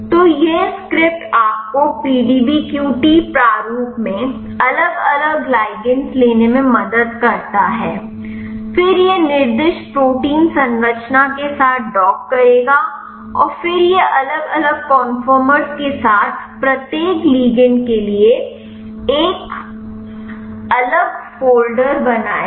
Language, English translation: Hindi, So, this script helps you to take the different ligands in the PDBQT format, then it will dock with the specified protein structure and then it will create a separate folders for each ligand with along with the different conformers